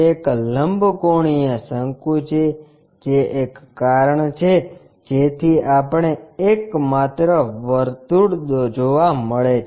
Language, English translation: Gujarati, It is the right circular cone that is also one of the reason we will see only circle